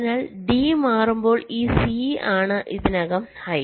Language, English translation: Malayalam, so when d is changing this, c is already high